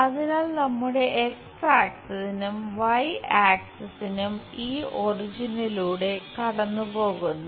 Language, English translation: Malayalam, So, our X axis Y axis pass through this point origin